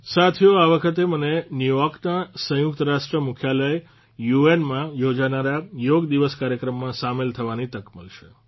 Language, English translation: Gujarati, Friends, this time I will get the opportunity to participate in the Yoga Day program to be held at the United Nations Headquarters in New York